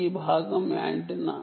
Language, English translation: Telugu, this part is the antenna